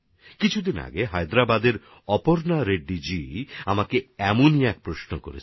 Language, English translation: Bengali, A few days ago Aparna Reddy ji of Hyderabad asked me one such question